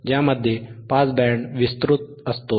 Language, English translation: Marathi, So, that is called the pass band